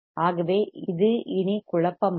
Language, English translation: Tamil, So, it is not confusing anymore